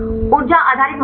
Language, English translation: Hindi, Energy based criteria